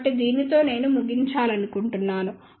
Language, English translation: Telugu, So, with this I would like to conclude